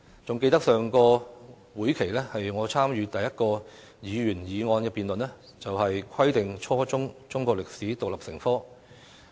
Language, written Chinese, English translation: Cantonese, 還記得在上個會期，我參與辯論的首項議員議案，就是"規定初中中國歷史獨立成科"的議案。, I recall that in the last legislative session the first Members motion that I took part in debating was the motion on Requiring the teaching of Chinese history as an independent subject at junior secondary level